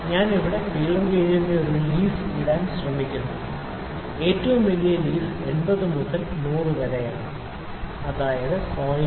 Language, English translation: Malayalam, So, I am trying to pick one leaf of the feeler gauge here the largest week leaf that is 80 by 100 that is 0